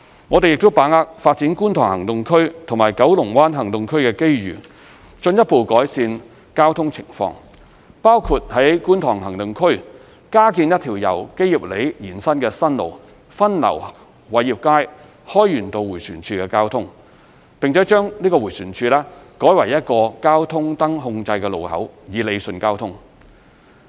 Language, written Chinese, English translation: Cantonese, 我們亦把握發展觀塘行動區及九龍灣行動區的機遇，進一步改善交通情況，包括在觀塘行動區加建一條由基業里延伸的新路，分流偉業街/開源道迴旋處的交通，並把該迴旋處改為一個交通燈控制路口以理順交通。, We also take the opportunity of developing the Kwun Tong Action Area KTAA and Kowloon Bay Action Area KBAA to further improve the traffic condition thereat which include building a new road extending from Kei Yip Lane in KTAA to divert traffic away from the Wai Yip StreetHoi Yuen Road roundabout and convert the roundabout into a signal - controlled junction to rationalize traffic flows